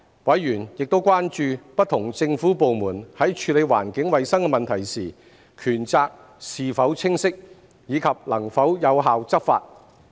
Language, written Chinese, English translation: Cantonese, 委員亦關注不同政府部門在處理環境衞生問題時，權責是否清晰，以及能否有效執法。, Members are also concerned about whether there is a clear delineation of powers and responsibilities among different government departments in handling environmental hygiene issues and whether the law can be enforced effectively